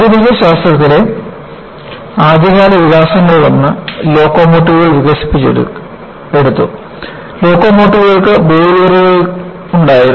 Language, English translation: Malayalam, You know one of the earliest development in modern Science was, they had developed locomotives and locomotives had boilers and boilers are essentially pressure vessels